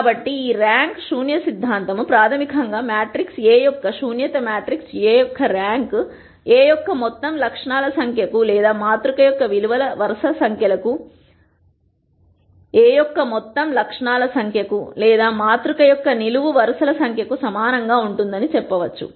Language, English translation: Telugu, So, this rank nullity theorem basically says the nullity of matrix A plus the rank of ma trix A is going to be equal to the total number of attributes of A or the number of columns of the matrix